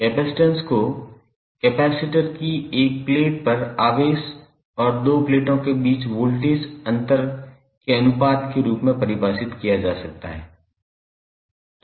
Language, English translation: Hindi, Capacitance can be defined as the ratio of charge on 1 plate of the capacitor to the voltage difference between the 2 plates